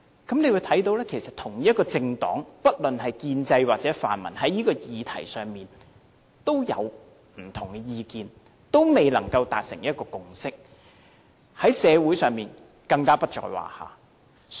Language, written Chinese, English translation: Cantonese, 大家可以看到不論是建制派或泛民主派，同一政黨在這個議題上也有不同意見，仍未達成共識，而在社會上更不在話下。, We can see that be it the pro - establishment camp or the pan - democratic camp views are divided with no consensus on this issue in the same political party let alone the community